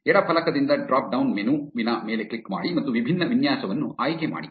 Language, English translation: Kannada, From the left panel click on the drop down menu and choose the different layout